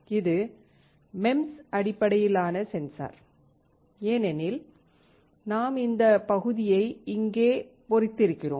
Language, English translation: Tamil, This is MEMS based sensor because we have etched this area here